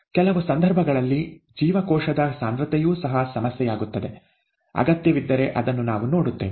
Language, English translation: Kannada, For certain purposes, even cell concentration becomes a problem, we will, we will look at it if we have a need